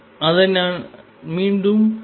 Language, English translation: Tamil, Let me write it again